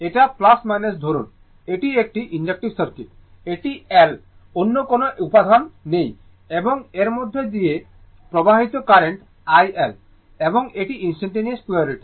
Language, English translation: Bengali, It is plus minus say, it is inductive circuit, it is L no other element is there and current flowing through this is i L and instant it and polarity instantaneous polarity right